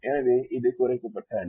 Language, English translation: Tamil, so this is the reduced matrix